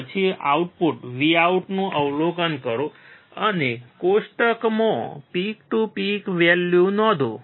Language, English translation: Gujarati, Then observe the output Vout and note down peak to peak value in the table